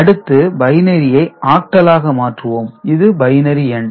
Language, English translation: Tamil, And if you have to convert from binary to octal, so this is the binary number